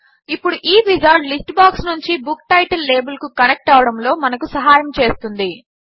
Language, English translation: Telugu, Now, this wizard will help us connect the list box to the Book title label